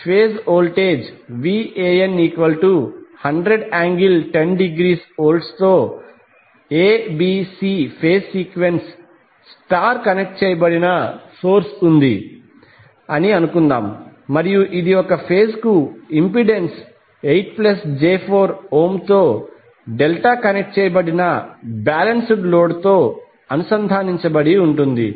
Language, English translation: Telugu, Suppose there is A, B, C phase sequence star connected source with the phase voltage Van equal to 100 angle 10 degree and it is connected to a delta connected balanced load with impedance 8 plus J 4 Ohm per phase